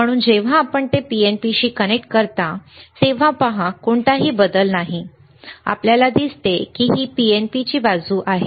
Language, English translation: Marathi, So, when you connect it to PNP, see, no change, you see this is PNP side